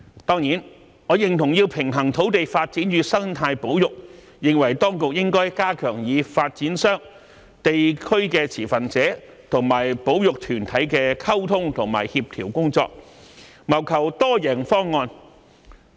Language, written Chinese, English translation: Cantonese, 當然，我認同要平衡土地發展與生態保育，認為當局應該加強與發展商、地區持份者和保育團體的溝通和協調工作，謀求多贏方案。, I surely reckon the need to strike a balance between land development and ecological conservation and consider that the authorities should enhance the communication and coordination with developers local stakeholders and conservation groups so as to formulate a win - win option